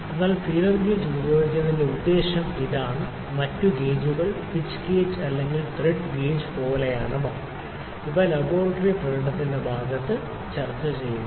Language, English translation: Malayalam, So, this is the purpose the feeler gauge is used, the like feeler gauge the other gauge is like pitch gauge pitch gauge, or thread gauge that will discuss for the in the next part of our laboratory demonstration